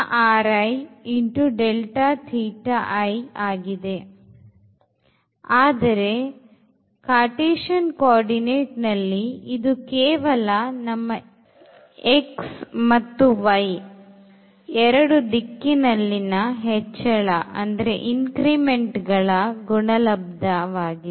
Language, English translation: Kannada, While in the Cartesian coordinate, it was simply the product of the increments we have made in the direction of x and in the direction of y